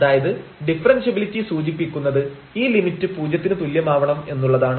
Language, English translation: Malayalam, Or if we have differentiability it will imply that this limit is 0, and this limit 0 will imply differentiability